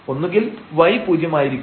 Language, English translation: Malayalam, So, let us assume that x is 0